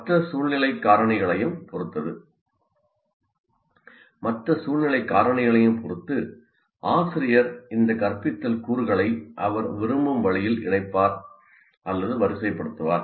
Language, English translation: Tamil, So depending on the other situational factors as well, the teacher will combine or sequence these instructional components in the way he prefers